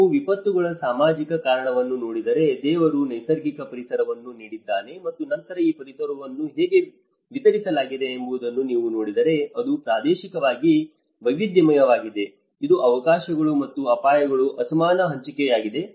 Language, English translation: Kannada, If you look at the social causation of the disasters, God has given as a natural environment and then if you look at how this environment has been distributed, it is distributed, it is spatially varied; it is unequal distribution of opportunities and hazards